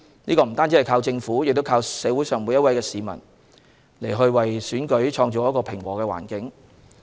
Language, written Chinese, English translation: Cantonese, 不單靠政府，也要靠每位市民為選舉製造平和的環境。, The Governments effort is not enough every member of the public should contribute to creating a peaceful environment for the Election